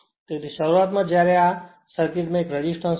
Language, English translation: Gujarati, So initially, when this initially there was 1 resistance in the circuit